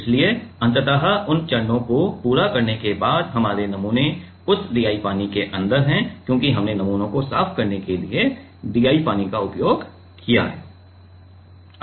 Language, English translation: Hindi, So, ultimately after completing those steps our samples are inside that DI water because, we have used the DI water to clean the sample